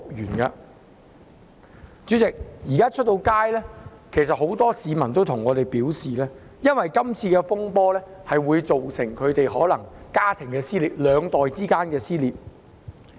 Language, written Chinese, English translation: Cantonese, 代理主席，其實在外間，很多市民也向我表示因為這次風波，造成他們家庭內兩個世代之間的撕裂。, Deputy President in the community actually many members of the public have also said to me that because of this turmoil rifts have emerged between generations in their family